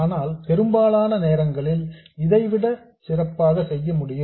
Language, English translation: Tamil, But it turns out that in most cases we can do better than this